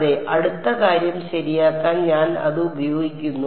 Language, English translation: Malayalam, Yes, I am using that to built the next thing ok